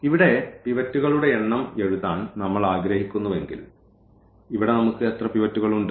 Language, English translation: Malayalam, So, if we have like written here the number of pivots, so, here how many pivots we have